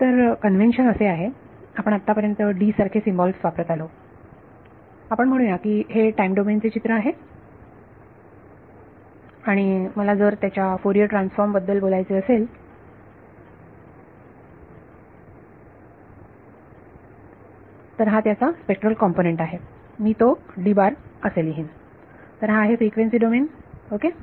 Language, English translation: Marathi, So the convention is, so far we have been using symbols like D we will say that this is the time domain picture and if I want to talk about its Fourier transform that is a spectral component I will write it as D tilde ok, so this is the frequency domain ok